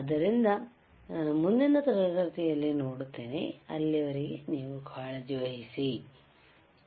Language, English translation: Kannada, So, I will see in the next class till then you take care, bye